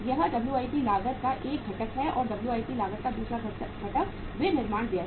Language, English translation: Hindi, This is one component of the WIP cost and second component of the WIP cost is the manufacturing expenses